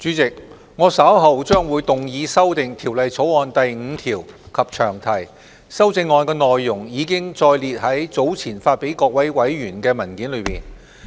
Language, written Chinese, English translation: Cantonese, 主席，我稍後將動議修訂《2019年稅務條例草案》第5條及詳題，修正案內容已載列於早前發給各位委員的文件內。, Chairman I will shortly move that clause 5 and the long title of the Inland Revenue Amendment Bill 2019 be amended as set out in the paper circulated to Members